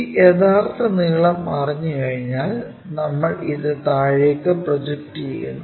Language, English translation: Malayalam, Once, this true length is known we project this all the way down